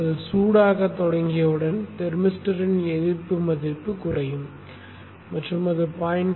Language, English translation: Tamil, And once that starts becoming hot, the resistance value of the thermistor will decrease and it may probably become the order of something 0